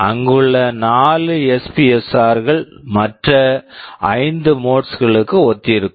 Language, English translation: Tamil, The 4 SPSRs which are there, they correspond to the other 5 modes